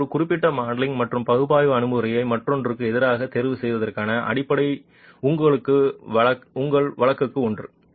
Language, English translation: Tamil, And this is something that gives you the basis to choose a certain modeling and analysis approach versus another